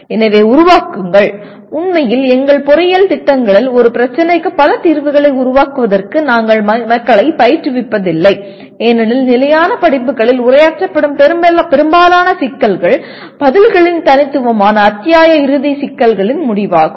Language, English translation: Tamil, So create, actually in our engineering programs we do not train people for creating multiple solutions to a problem because most of the problems that are addressed in the standard courses are end of the chapter problems where the answers are unique